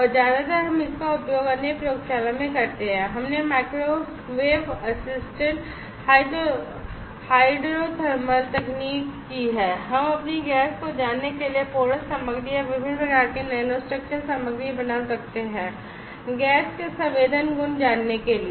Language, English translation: Hindi, And mostly we use it in the other lab we have done microwave assisted hydrothermal technique were we can make porous material or different types of nanostructured material to know their gas sensing properties